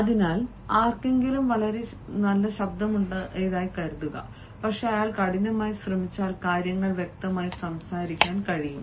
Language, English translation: Malayalam, so suppose somebody has got a very muffled voice, but if he tries hard, he can speak things clearly